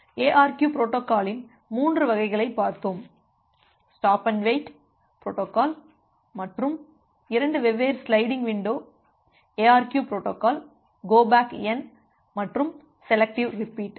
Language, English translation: Tamil, We have looked into three variants of ARQ protocol the stop and wait protocol and two different sliding window ARQ protocol go back N and selective repeat